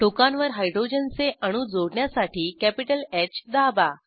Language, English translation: Marathi, To attach Hydrogen atoms to the ends, Press capital H